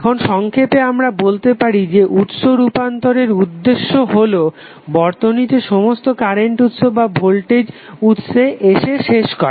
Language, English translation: Bengali, Now in summary what we can say that the common goal of the source transformation is to end of with either all current sources or all voltage sources in the circuit